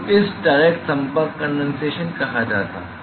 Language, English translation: Hindi, So, this is what a called a direct contact condensation